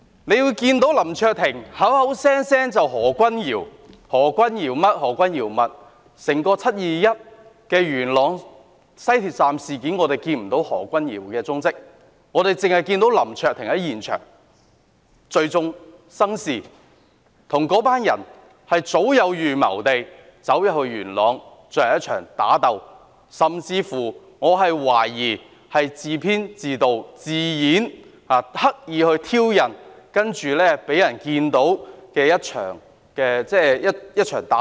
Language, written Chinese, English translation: Cantonese, 林卓廷議員口口聲聲說何君堯這樣那樣，但在整件"七二一"元朗西鐵站事件中，我們看不到何君堯議員的蹤跡，只看到林卓廷議員在現場聚眾生事，與那群人早有預謀地到元朗進行一場打鬥，我甚至懷疑他自編自導自演，刻意挑釁，然後讓人看到一場打鬥。, We only saw Mr LAM Cheuk - ting gather a crowd and cause trouble at the scene . He went to Yuen Long with that bunch of people to wage a fight in a premeditated manner . I even suspect that he staged his own story deliberately taking a provocative role so that people would see a fight